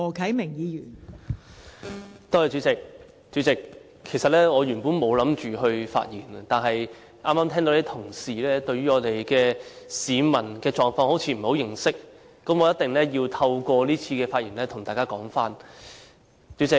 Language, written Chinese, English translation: Cantonese, 代理主席，原本我沒有打算發言，但剛才聽到同事對於市民的狀況好像不太認識，我一定要透過這次發言跟大家說一說。, Deputy President I did not intend to speak originally but it seems that Honourable colleagues are not at all versed in the condition of the public so I must make a speech to tell everyone about it